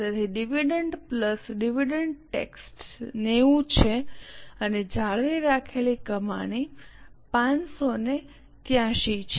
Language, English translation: Gujarati, So, dividend plus dividend tax is 90 and retained earnings is 583